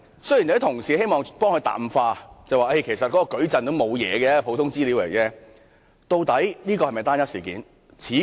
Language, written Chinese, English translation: Cantonese, 有些同事希望淡化此事，說其實該項數據矩陣只是普通資料，但究竟這是否只是單一事件？, Some Honourable colleagues wish to play down this matter saying that the data matrix is actually just ordinary information . But is this really an individual case?